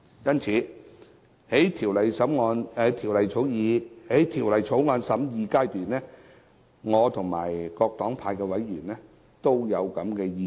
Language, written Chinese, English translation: Cantonese, 因此，在審議《條例草案》時，我及各黨派的委員都有同樣的意見。, Hence in the course of scrutiny of the Bill members from various political parties and groupings and I share the same views